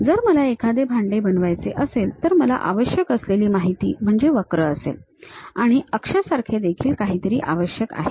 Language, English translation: Marathi, Something like, if I want to make a pot, the essential information what I require is something like a curve and I might be requiring something like an axis